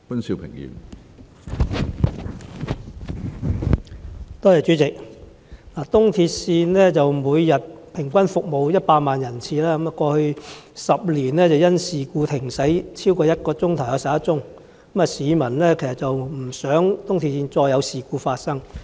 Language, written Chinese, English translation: Cantonese, 主席，東鐵線每天平均服務100萬人次，過去10年因事故停駛超過1小時的有11宗，市民不希望東鐵線再次發生事故。, President ERL serves 1 million passengers per day on average . In the past decade there were 11 cases of suspension of train service for over one hour due to incidents and the public do not want any further incidents happening on ERL